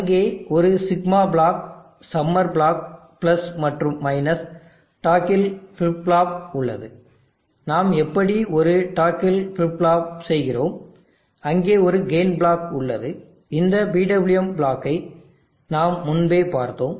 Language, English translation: Tamil, There is a sigma block, summer block + and there is a toggle flip flop how do we do a toggle flip flop, there is a game block if this PWM block we have already seen earlier